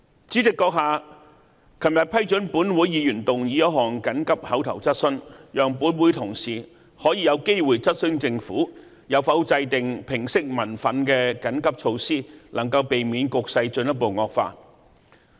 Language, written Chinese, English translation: Cantonese, 主席閣下昨天批准本會議員提出一項急切口頭質詢，讓本會同事可以有機會質詢政府有否制訂平息民憤的緊急措施，能夠避免局勢進一步惡化。, President you approved an urgent oral question by a Member of this Council yesterday which allowed my colleagues in this Council to ask the Government if it had formulated any emergency measures to allay public resentment so as to avoid further deterioration of the situation